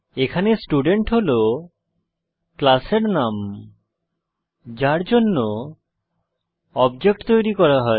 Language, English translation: Bengali, Here, Student is the name of the class for which the object is to be created